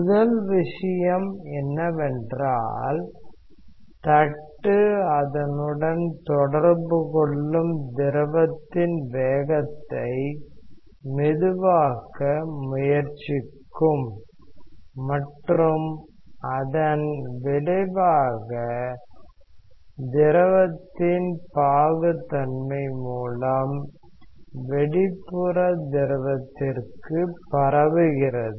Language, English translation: Tamil, The first thing is the plate tries to slow down the fluid which is in contact with that and that effect is propagated to the outer fluid through the viscosity of the fluid